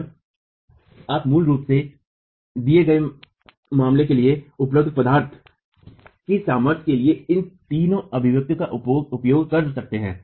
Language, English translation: Hindi, So, you basically can use these three expressions for the material strengths available to you for a given case